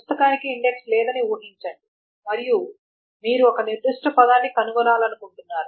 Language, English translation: Telugu, So imagine that a book has no index and you want to find a particular word